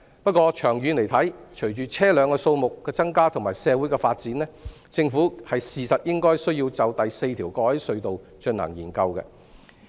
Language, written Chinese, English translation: Cantonese, 不過，長遠而言，隨着車輛數目增加和社會發展，政府確實應該就第四條過海隧道進行研究。, But in the long run with the rise in the number of vehicles and the development of society the Government should really conduct a study on a fourth harbour crossing tunnel